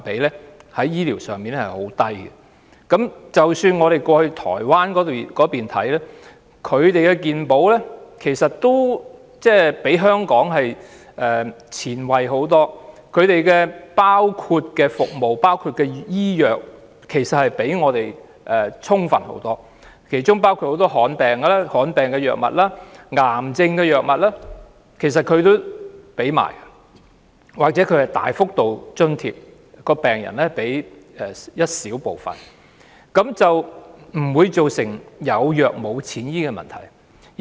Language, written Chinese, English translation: Cantonese, 即使我們前往台灣，看到當地的健康保險也比香港前衞得多，所包括的服務和醫藥也較我們充分，當中包括提供很多罕見病藥物和癌症藥物，又或會有大幅度的津貼，病人只須支付一小部分藥費便可以，亦不會造成"有藥無錢醫"的問題。, Even in Taiwan its health insurance is more forward - looking than Hong Kong and the coverage in services and drugs is also wider than us . While many drugs for rare diseases and cancer can be provided a large proportion of medical charges can also be subsidized . Hence patients will only need to bear a small proportion of medicine fees and the problem of patients being denied of medicine or treatment because of lack of money will not arise